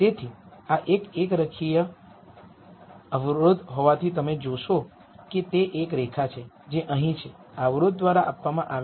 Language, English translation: Gujarati, So, since this is a linear constraint you will see that it is a line which is here which is what is given by this constraint